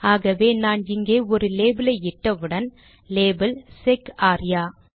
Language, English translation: Tamil, So the moment I put a label here, label – sec arya